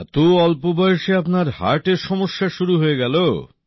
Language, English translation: Bengali, You got heart trouble at such a young age